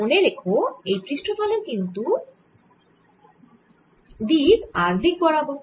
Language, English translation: Bengali, remember this is the area in direction r